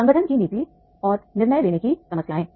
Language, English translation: Hindi, Problems of organization policy and decision making